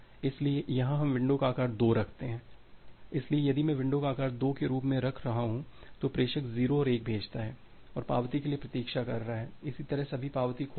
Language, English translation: Hindi, So, here we keep the window size as 2 so, if I am keeping window size as 2 then the sender sends 0 and 1 and waiting for the acknowledgement similarly all the acknowledgement got lost